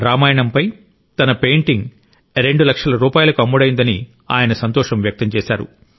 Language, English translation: Telugu, He was expressing happiness that his painting based on Ramayana had sold for two lakh rupees